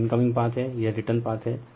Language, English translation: Hindi, This is incoming path; this is return path